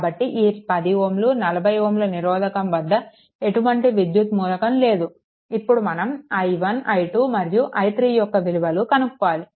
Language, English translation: Telugu, So, 10 ohm 40 ohm because nothing when electrical element is there you have to find out i 1, i 2 and i 3, right